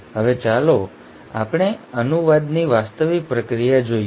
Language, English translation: Gujarati, Now let us look at the actual process of translation